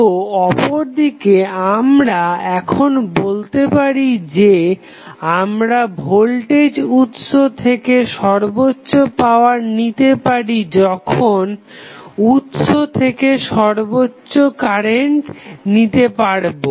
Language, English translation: Bengali, So, on the other end, we can now say that, we draw the maximum power possible power from the voltage source by drawing the maximum possible current